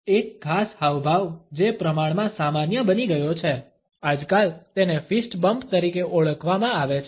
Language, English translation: Gujarati, A particular gesture which has become relatively common, nowadays, is known as a fist bump